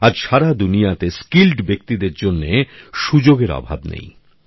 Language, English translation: Bengali, There is no dearth of opportunities for skilled people in the world today